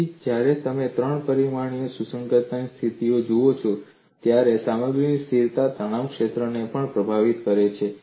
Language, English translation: Gujarati, So, when you look at the compatibility conditions in three dimensions, material constant also influences the stress field